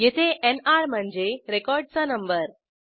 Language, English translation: Marathi, Here the NR stands for number of records